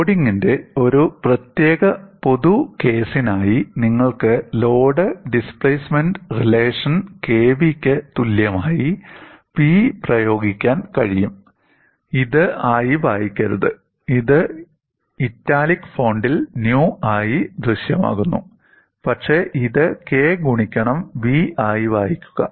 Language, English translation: Malayalam, For a general case of loading, you could apply the load displacement relation as P equal to k v; do not read this as nu; it is appears in the italic font; appears as nu, but read this as k into v